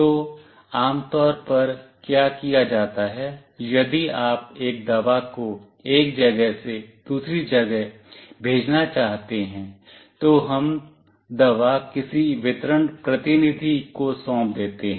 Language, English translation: Hindi, So, what is generally done, if you want to send a medicine from place A to place B, we hand over the medicine to some delivery agent